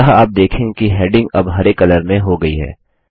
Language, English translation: Hindi, So you see that the heading is now green in color